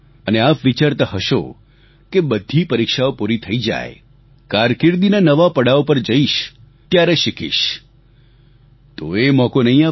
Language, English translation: Gujarati, And if you think that after appearing in all exams, at a new threshold of your career you will learn some new skill, then you won't get a chance